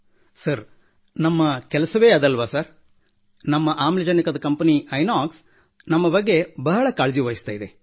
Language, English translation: Kannada, Sir, our Company of oxygen tankers, Inox Company also takes good care of us